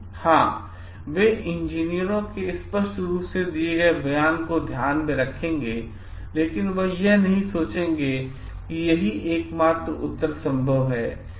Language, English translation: Hindi, Yes they will obviously like take into consideration the statement given by the engineers, but they will not think this is the only answer possible